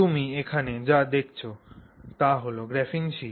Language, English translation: Bengali, So, what you see here is a graphene sheet